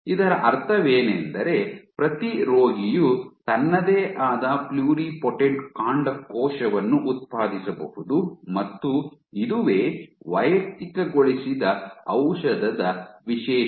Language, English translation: Kannada, So, in what does this mean that each patient can generate his/her own pluripotent stem cell line and this is what is the beauty of personalized medicine